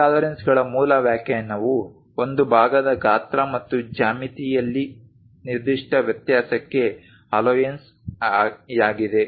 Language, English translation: Kannada, The basic definition for tolerances it is an allowance for a specific variation in the size and geometry of a part